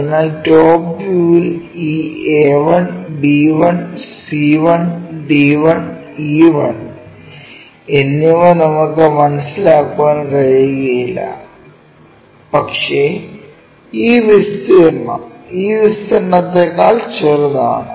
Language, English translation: Malayalam, So, we cannot really sense this A 1, B 1, C 1, D 1, E 1 in the top view, but this area smaller than this area